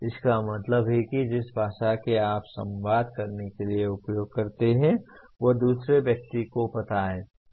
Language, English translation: Hindi, That means the language that you use to communicate is known to the other person